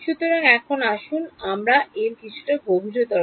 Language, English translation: Bengali, So now let us go a little bit deeper into that